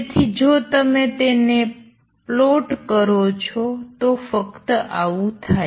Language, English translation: Gujarati, So, if you were to plot it if only this thing happen